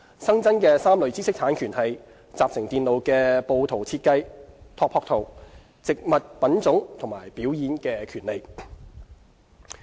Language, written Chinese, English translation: Cantonese, 新增3類知識產權為：集成電路的布圖設計、植物品種和表演的權利。, The three additional categories of IPRs are layout - design topography of integrated circuits plant variety and performers right